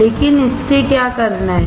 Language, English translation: Hindi, But what to do with this